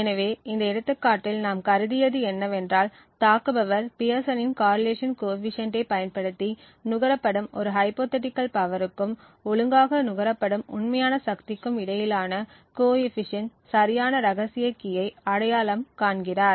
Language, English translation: Tamil, So, what we considered in this example was that the attacker uses the Pearson’s correlation coefficient between a hypothetical power consumed and the actual power consumed in order to identify the correct secret key